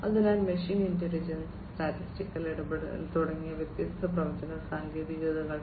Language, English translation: Malayalam, So, different predictive techniques such as machine intelligence, statistical interference, etcetera